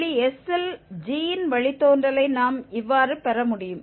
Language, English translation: Tamil, This is how we can get the derivative of g at the point s